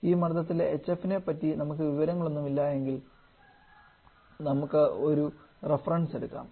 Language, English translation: Malayalam, Now if you do not have any information about the value of hf at this pressure then we can choose certain reference